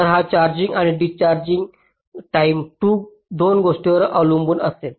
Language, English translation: Marathi, ok, so this charging and discharging time will depend on two things